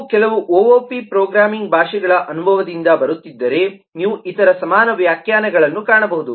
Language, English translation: Kannada, if you are coming from experience of some of the op programming languages, then you will find other equivalent definitions